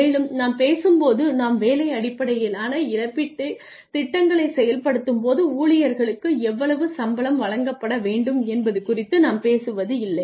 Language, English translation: Tamil, And when we talk about when we implement job based compensation plans we are not talking about the perception of the employees regarding how much they should get paid